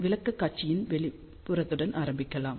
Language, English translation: Tamil, So, let us start with outline of presentation